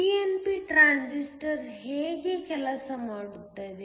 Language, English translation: Kannada, How does a pnp transistor work